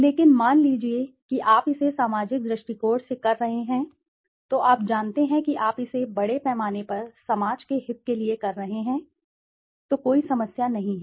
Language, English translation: Hindi, But suppose you are doing it from a societal perspective, you know that you are doing it for the benefit of the society at large then there is no problem